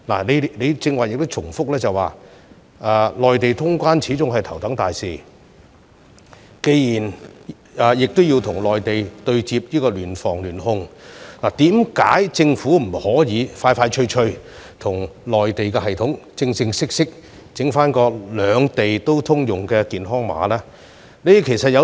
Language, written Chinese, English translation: Cantonese, 既然你剛才重申，與內地通關是頭等大事，並且要與內地對接、聯防聯控，為何政府不能盡快與內地當局正式開發兩地通用的健康碼？, As you have just reiterated that the resumption of traveller clearance with the Mainland is a top priority and that we need to liaise with the Mainland to conduct joint prevention and control why does the Government not expeditiously work with the Mainlands authorities to formally develop a health code for mutual use?